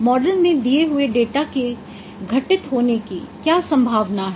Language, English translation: Hindi, What is the probability of occurrence of data given a model